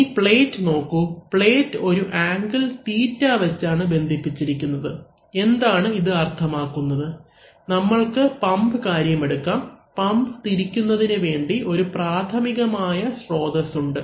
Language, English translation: Malayalam, Now you see that the plate is, now you should see the plate, the plate is connected at an angle θ, what does it mean that, let us take the case of the pump, so the pump is being rotated in this way by prime mover, right